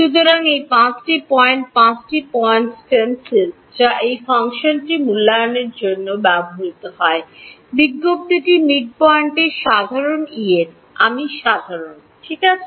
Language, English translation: Bengali, So, these are the five points five points stencil which is used to evaluate this function notice the midpoint is common E n i is common alright